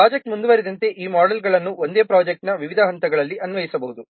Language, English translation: Kannada, As the project progresses, these models can be applied at different stages of the same project